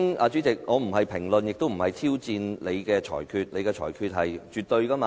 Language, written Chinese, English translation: Cantonese, 主席，我並非評論或挑戰你的裁決，你的裁決是絕對的，對嗎？, Chairman I am not commenting on or challenging your ruling . Your ruling is absolute right?